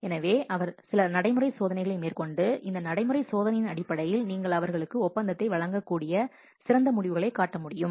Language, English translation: Tamil, So, you may conduct some practical test and based on this practical test who can show the best results, you can award the contract to them